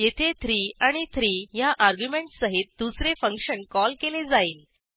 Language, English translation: Marathi, This is a function call with arguments 3 and 3